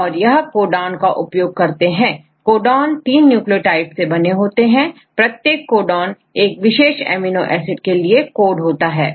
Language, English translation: Hindi, So, there they are the different nucleotides right they use the codons, there 3 nucleotide together form one codon, so each codon they code for a specific amino acid